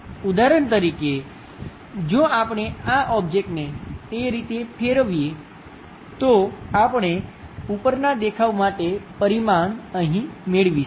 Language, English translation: Gujarati, For example, if we are rotating this object in that way, we are going to get this one as the dimension here for the top view